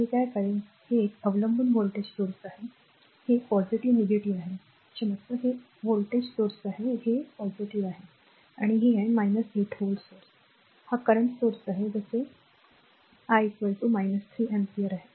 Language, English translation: Marathi, So, what I will do, this is dependent voltage source, this is plus minus, this is your sorry this is your voltage source, this is plus, this is minus 8 volt source, this is the current source right and as it is I is equal to minus 3 ampere